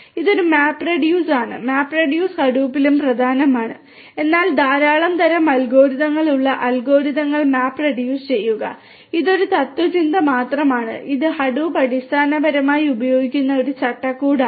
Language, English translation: Malayalam, This is a MapReduce, MapReduce is also core to Hadoop, but MapReduce the algorithms that are there large number of different types of algorithms and their it is just a philosophy, it is a framework that Hadoop basically also uses